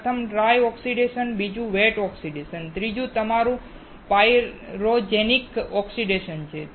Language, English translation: Gujarati, First is dry oxidation, second wet oxidation, while the third one is your pyrogenic oxidation